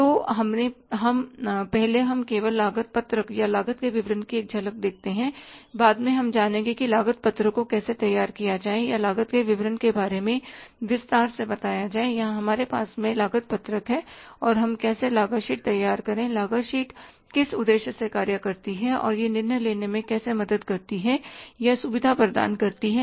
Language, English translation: Hindi, Later on we will learn how to prepare the cost sheet in detail or the statement of the cost in detail but here we have the cost sheet and how we prepare the cost sheet but purpose the cost sheet serves and how it helps or facilitates the decision making